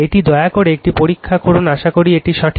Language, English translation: Bengali, This you please check it right hope this is correct